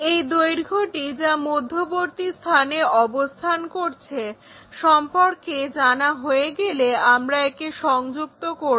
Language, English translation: Bengali, Once we know that this length which is at middle the same thing we can connect it, so that we can make that triangle